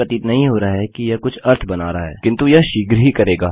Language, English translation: Hindi, This doesnt seem to make any sense but it will soon